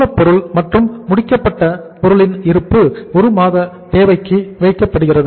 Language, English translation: Tamil, Stock of raw material and finished goods are kept at 1 month’s requirement